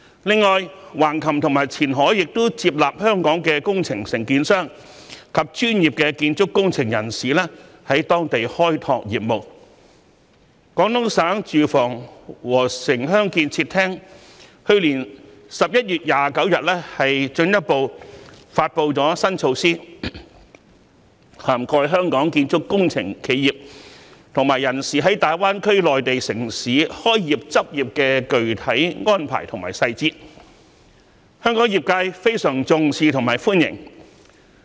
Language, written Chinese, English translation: Cantonese, 此外，橫琴及前海亦接納香港的工程承建商及專業的建築工程人員在當地開拓業務，廣東省住房和城鄉建設廳去年11月29日更進一步發布新措施，涵蓋香港建築工程企業及人員在大灣區內地城市開業執業的具體安排及細節，香港業界對此非常重視及深表歡迎。, Furthermore approved contractors and professional civil engineering personnel of Hong Kong have been allowed to start business in Hengqin and Qianhai . In a further development on 29 November last year the Department of Housing and Urban - Rural Development of Guangdong Province promulgated new measures on the specific arrangements and details for construction engineering companies and personnel of Hong Kong to start businesses and practise in the Mainland cities of GBA . Trade practitioners of Hong Kong have attached great importance to and greatly welcome such measures